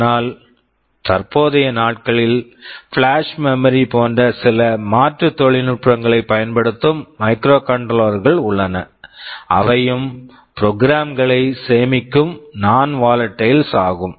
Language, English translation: Tamil, But nowadays there are microcontrollers which use some alternate technologies like flash memory, which is also non volatile where you can store some program, you could also change the program if you want, but if you switch off the power the program does not get destroyed